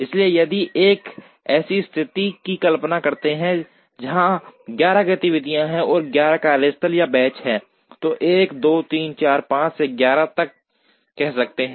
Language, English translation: Hindi, So, if we imagine a situation where there are the 11 activities, and there are 11 workstations or benches say 1, 2, 3, 4 up to 11